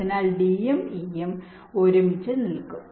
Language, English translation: Malayalam, so d and e will be side by side